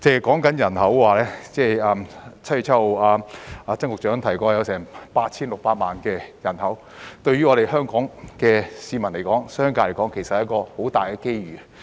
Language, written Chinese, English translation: Cantonese, 單是人口來說，曾局長於7月7日提過該處有 8,600 萬人口，對香港市民及商界來說是很大的機遇。, In terms of population alone Secretary TSANG mentioned on 7 July that GBA had a population of 86 million which was a huge opportunity for Hong Kong people and the business community